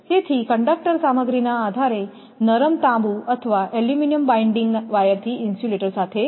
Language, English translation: Gujarati, So, anyway the conductor is attached to the insulator by tying it down with soft copper or aluminum binding wire depending upon conductor material